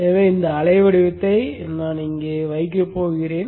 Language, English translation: Tamil, So I am going to place this waveform here